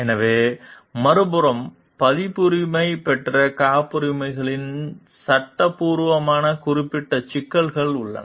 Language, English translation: Tamil, So, the other hand there is a legal specific issues of copyrighted patents